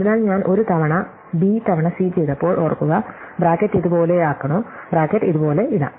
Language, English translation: Malayalam, So, remember when I did A times B times C, the choice of whether to put the bracket like this, how to put the bracket like this